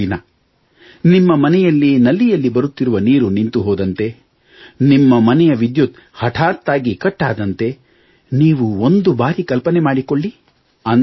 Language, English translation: Kannada, Just imagine, if the water in your taps runs dry for just a day, or there is a sudden power outage in your house